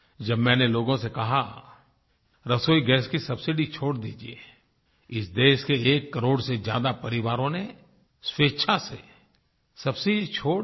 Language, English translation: Hindi, When I asked the people to give up their cooking gas subsidy, more than 1 crore families of this country voluntarily gave up their subsidy